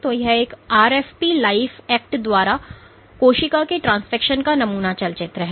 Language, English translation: Hindi, So, this is the sample picture movie of a cell transfected with gfb life act